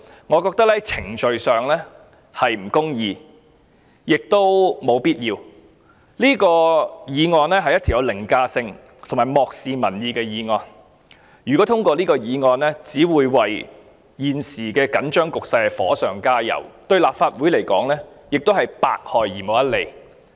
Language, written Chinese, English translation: Cantonese, 我認為程序上是不公義亦無必要，這是一項具有凌駕性及漠視民意的議案，如果通過這項議案，只會為現時的緊張局勢火上加油，對立法會而言亦百害而無一利。, I hold that procedurally speaking this motion is unjust and unnecessary . The motion is overriding and disregards public will . If the motion is passed it will only intensify the already heated situation and will not do any good to the Legislative Council